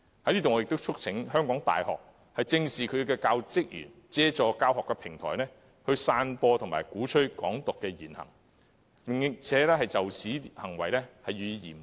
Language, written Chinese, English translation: Cantonese, 我在此亦促請香港大學正視教職員透過教學平台，散播及鼓吹"港獨"言行，並嚴正處理這種行為。, Here I also wish to call on HKU to address squarely the remarks and acts of its teaching staff in spreading and advocating Hong Kong independence and deal with such conduct solemnly